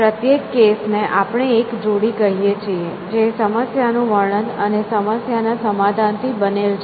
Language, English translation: Gujarati, Each case as we call it is the pair, made up of a problem description and a solution that work for the problem description